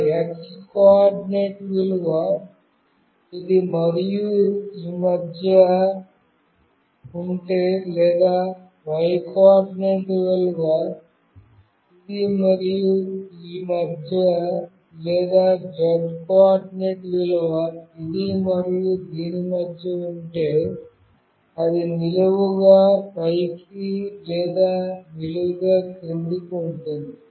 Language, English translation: Telugu, If that x coordinate value is in between this and this or the y coordinate value is in between this and this or to z coordinate value is in between this and this, then it is vertically up or vertically down